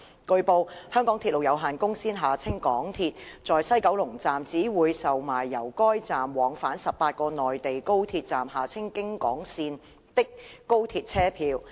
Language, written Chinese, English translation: Cantonese, 據報，香港鐵路有限公司在西九龍站只會售賣由該站往返18個內地高鐵站的高鐵車票。, It has been reported that the MTR Corporation Limited MTRCL will sell at the West Kowloon Station WKS only tickets for the high - speed rail routes plying between WKS and 18 high - speed rail stations on the Mainland HK routes